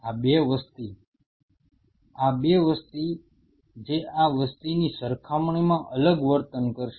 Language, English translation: Gujarati, These 2 population this 2 population which will behave differently as compared to this population